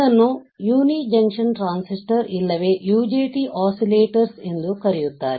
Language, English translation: Kannada, They are called uni junction transistor oscillators or they are also called UJT oscillators, all right